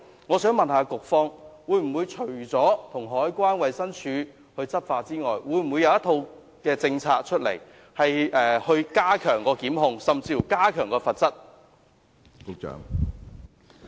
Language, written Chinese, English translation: Cantonese, 我想問，除了與海關和衞生署一起執法之外，局方會否訂立一套政策，加強檢控和罰則？, May I ask in addition to enforcement with CED and the Department of Health whether the authorities will formulate policies to step up prosecution and increase the penalty level?